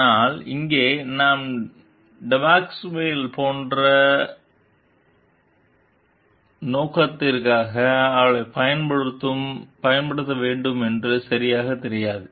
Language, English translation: Tamil, But here we do not know exactly for what purpose like Depasquale will be using her